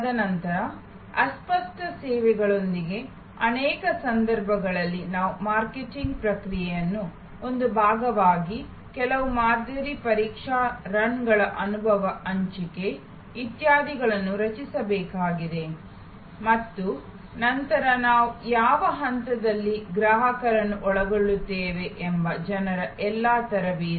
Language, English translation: Kannada, And then in many cases with the services intangible, we need to create some sampling test runs, experience sharing, etc as a part of the marketing process and then, all the training of people at which stage we often involve customers